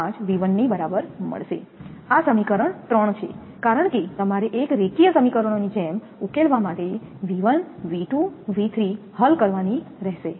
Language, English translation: Gujarati, 0345 V 1, this is equation 3, because you have to solve for V 1, V 2, V 3 just like solving like a linear equations